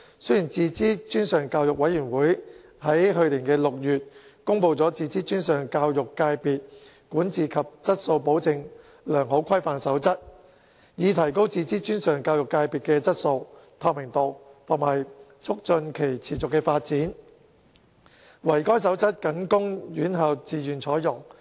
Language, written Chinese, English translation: Cantonese, 雖然自資專上教育委員會於去年6月公布《自資專上教育界別管治及質素保證良好規範守則》，以提高自資專上教育界別的質素、透明度及促進其持續發展，惟該守則僅供院校自願採用。, Although the Committee on Self - financing Post - secondary Education promulgated the Code of Good Practices on Governance and Quality Assurance for Self - financing Post - secondary Education Sector in June last year for the purpose of enhancing the quality transparency and sustainable development of the self - financing post - secondary education sector the adoption of the Code by institutions is on a voluntary basis only